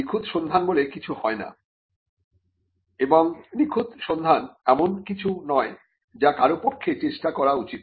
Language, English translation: Bengali, And there is no search thing as a perfect search, and a perfect search is not something which anybody should even endeavor to do